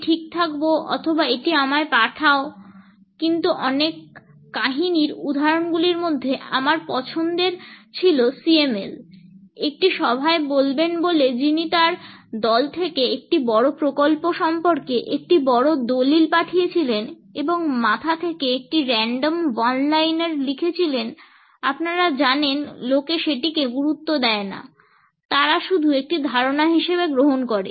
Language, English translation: Bengali, I will be ok or send me this, but many stories one of my favourite examples was the CML, who was sent a big document from her team about a big project and write some one liner that has just a random thought she had on her head, that she would say in a meeting, but people would not take serious you know they would take as just an idea